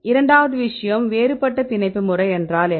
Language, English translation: Tamil, The second thing is the binding mode like what is different binding mode